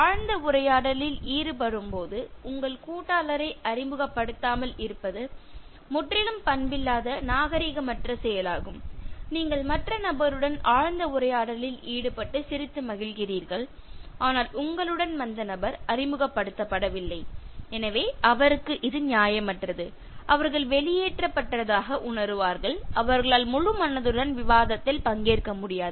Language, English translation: Tamil, Uncouth is totally uncivilized to keep your partner un introduced while you indulge in deep conversation you are enjoying good laughter with the other person but the person who accompanied you is not being introduced so it is also unfair to your partner who will feel left out and they will not be able to participate in the discussion wholeheartedly